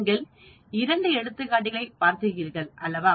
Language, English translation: Tamil, You looked at two examples, right